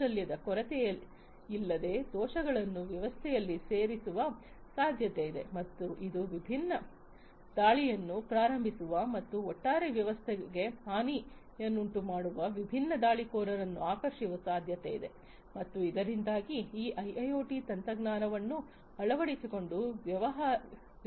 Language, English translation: Kannada, It is possible that without the lack of skills, vulnerabilities might be put in into the system, and which might attract different attackers who can launch different attacks and cause harm to the overall system thereby resulting in loss to the business, who have adopted this IIoT technology